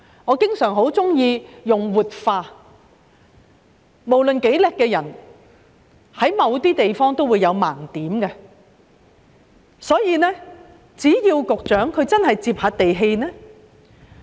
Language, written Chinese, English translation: Cantonese, 我經常喜歡說官員應"活化腦袋"，無論多厲害的人在某些地方也會有盲點，所以希望局長真的要"接地氣"。, I have repeatedly asked the Secretary and his team to open their mind and I often say that officials should have a flexible mind . Regardless of how capable a person is he will still have a blind spot in certain respects . I therefore hope that the Secretary can truly be down - to - earth